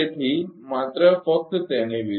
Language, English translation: Gujarati, So, just, just opposite to that